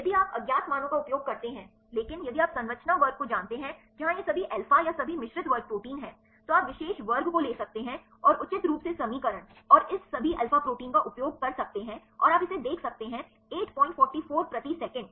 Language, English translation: Hindi, If you use the unknown values, but if you know the structure class where it is all alpha or all beta all mixed class proteins then you can take the particular class and appropriately use the equation and this all alpha proteins and you can see this is the 8